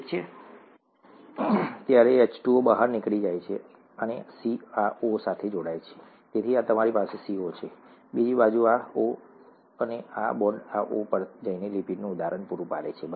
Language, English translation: Gujarati, When this gets attached, the H2O gets out and the C joins with this O, so you have a CO, on the other side this O, on the other side, and this bond going onto this O to provide an example of a lipid, okay